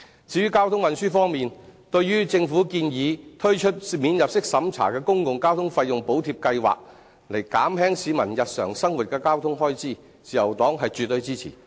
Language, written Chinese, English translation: Cantonese, 至於交通運輸方面，對於政府建議推出免入息審查的公共交通費用補貼計劃，以減輕市民日常生活的交通開支，自由黨是絕對支持的。, In respect of transportation the Liberal Party absolutely supports the Governments proposal of launching a non - means - tested Public Transport Fare Subsidy Scheme to help reduce the transportation expenditure of citizens in their daily lives